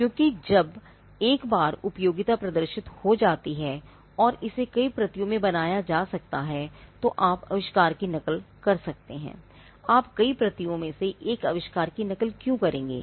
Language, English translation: Hindi, Because once there is usefulness demonstrated, and it can be made in multiple copies, you can replicate the invention, why would you replicate an invention in multiple copies